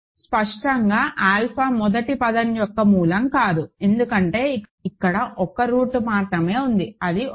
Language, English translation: Telugu, Clearly alpha is not a root of the first term, because there is only 1 root here that is 1